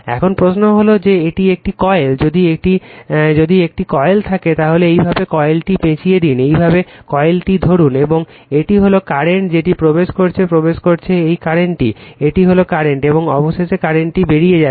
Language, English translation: Bengali, Now, question is that it is a coil, if you have a coil, you wrap the coil like this, you grabs the coil like this, and this is the current is entering right, this is the current entering, this is the curren, and finally the current is leaving